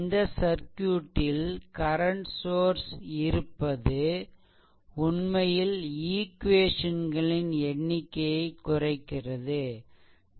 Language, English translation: Tamil, So, presence of current sources in the circuit, it reduces actually the number of equations